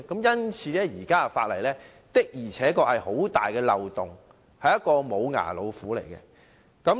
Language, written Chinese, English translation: Cantonese, 因此，現行法例確實有很大漏洞，只是"無牙老虎"。, For this reason the existing law has indeed a large loophole and is only a toothless tiger